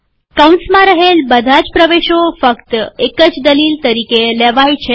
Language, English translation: Gujarati, All the entries within the braces are taken as a single argument